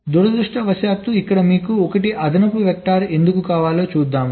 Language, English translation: Telugu, well, unfortunately here you need one extra vector